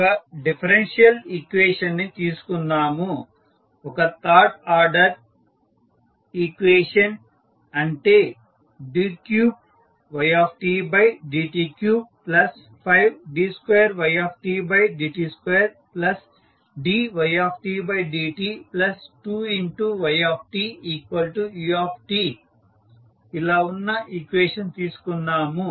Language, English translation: Telugu, So, let us consider one differential equation, so that is the third order equation you have d3 by dt3 plus 5 d2y by dt2 plus dy by dt plus 2yt is equal to ut